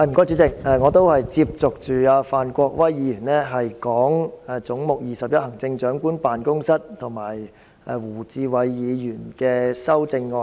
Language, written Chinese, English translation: Cantonese, 主席，我也是接續范國威議員談及"總目 21― 行政長官辦公室"，以及胡志偉議員的相關修正案。, Chairman I also follow Mr Gary FAN in discussing Head 21―Chief Executives Office and the relevant amendment put forth by Mr WU Chi - wai